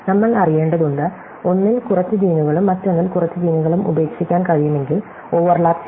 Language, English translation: Malayalam, So, we need to know, if we can drop of few genes in one and few genes in another can be over lap